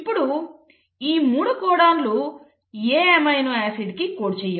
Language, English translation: Telugu, Now there is seen that the more than 1 codon can code for an amino acid